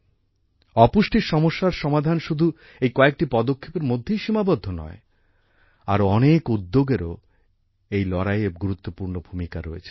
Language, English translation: Bengali, The solution to the malady of malnutrition is not limited just to these steps in this fight, many other initiatives also play an important role